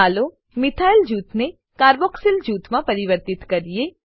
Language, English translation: Gujarati, Let us convert a methyl group to a carboxyl group